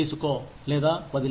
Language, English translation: Telugu, Take it or leave it